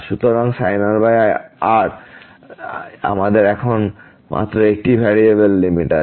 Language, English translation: Bengali, So, limit this sin over as goes to 0 we have only one variable limit now